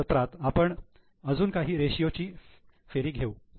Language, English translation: Marathi, In the next session, we will go for next round of ratios